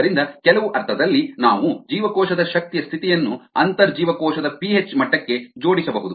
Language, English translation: Kannada, so you, in some sense we can link the energy status of the cell to the intercellular p h level